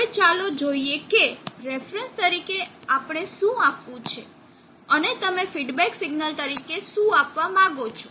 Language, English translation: Gujarati, Now let us see what we want to give as reference and what you want to give as feedback signal